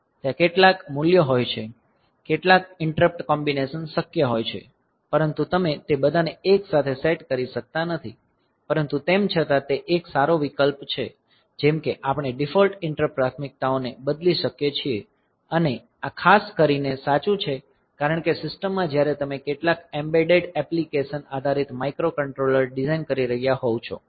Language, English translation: Gujarati, So, there are some values, some of the interrupt combinations are feasible, but you cannot set all of them simultaneously, but still the that is a good option, like we can change the default interrupt priorities and this is particularly true because in a system when you are designing the microcontroller based some embedded application